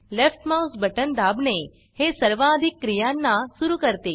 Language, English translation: Marathi, Pressing the left mouse button, activates most actions